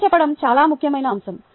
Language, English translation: Telugu, ok, story telling is a very important aspect